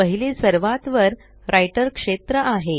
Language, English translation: Marathi, The first is the Writer area on the top